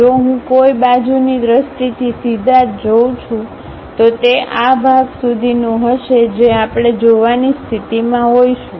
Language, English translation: Gujarati, If I am straight away looking from side view, it will be up to this portion we will be in a position to see